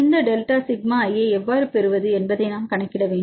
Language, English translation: Tamil, Now the question is how to get this delta sigma i, right